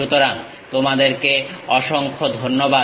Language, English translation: Bengali, So, thank you very much